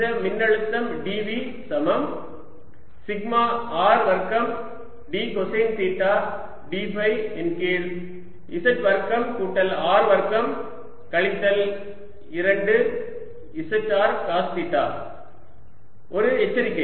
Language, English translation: Tamil, d v is equal to sigma r square d cosine theta d phi over z square plus r square minus two z r cos theta